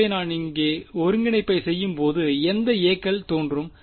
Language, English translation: Tamil, So, when I do the integral over here which of the a s will appear